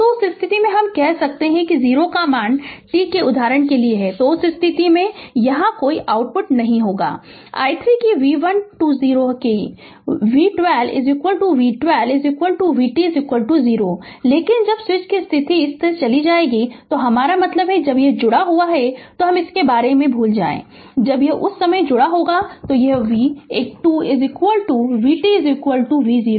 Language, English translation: Hindi, So, in that case this ah your what you call there will be no output voltage that v12 is 0 that v12 is equal to v12 is equal to v t is equal to 0 right, but when switch position had gone from this to this I mean when it is there when it is connected forget about this, when it is connected at that time your v one 2 is equal to v t is equal to v 0 right